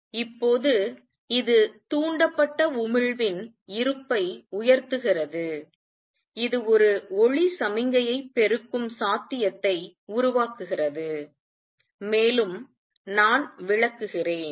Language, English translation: Tamil, Now this gives raise to the existence of stimulated emission gives rise to possibility of amplifying a light signal, and let me explain